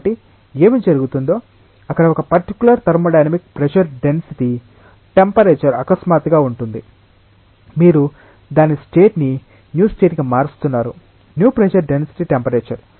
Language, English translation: Telugu, So, what will happen there will be a particular thermodynamic pressure density temperature suddenly, you are changing its state to a new state new pressure density temperature